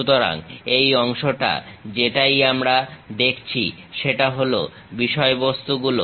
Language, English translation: Bengali, So, this part whatever we are seeing, these are the things